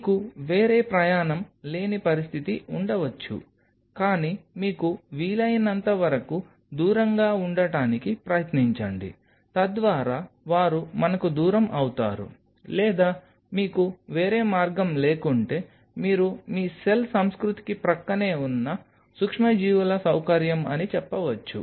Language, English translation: Telugu, You may have a situation you have no other go there will be close by, but try to avoid it as much as you can that led they we are distance or if you have no other go that you are a microbial facility adjacent to your cell culture